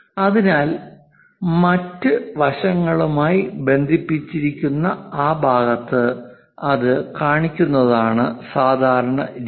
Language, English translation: Malayalam, So, the standard practice is to show it on that side connected with this other dimension